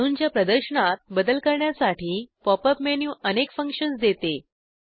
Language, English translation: Marathi, Pop up menu offers many functions to modify the display of atoms